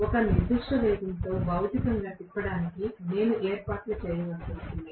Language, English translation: Telugu, Only thing is I have to arrange to physically rotate it at a particular speed